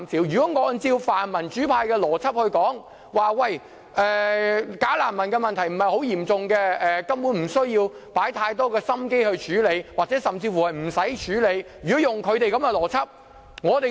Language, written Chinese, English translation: Cantonese, 如果按照泛民主派的邏輯來說，"假難民"問題不是很嚴重，根本不需要花太多心機處理，甚至乎不需要處理。, If we follow the logic of pan - democratic Members in which they consider that the problem of bogus refugees is not too serious then we simply do not have to put in too much effort to handle the situation or we do not even need to deal with the matter